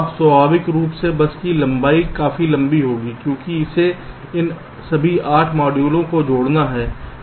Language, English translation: Hindi, now, naturally, the length of the bus will be long enough because it has to connect all this eight modules